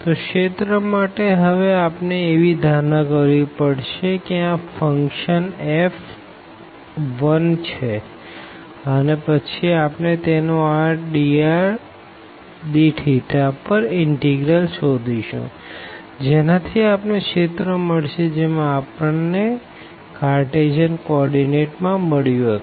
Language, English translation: Gujarati, So, again for the area we have to just assume that this function f is 1 and then we will get this integral over r dr d theta that will give us the area as we have done in the Cartesian coordinates